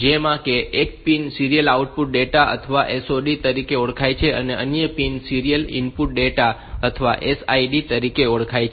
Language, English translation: Gujarati, One is known as the serial output data or SOD other is the serial input data or SID